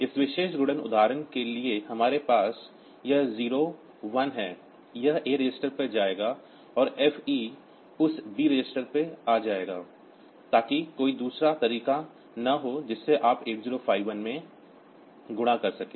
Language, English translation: Hindi, For this particular multiplication example that we have so this 0 1, it will go to A register and FE will come to that B register, so that there is a no other way that by which you can do a multiplication in 8051